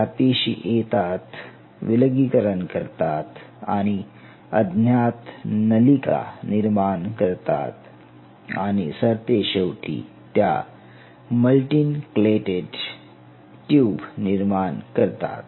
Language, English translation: Marathi, These satellite cells come, they divide and then they form these kind of non identifying tubes and eventually they form multiple multi nuclated tubes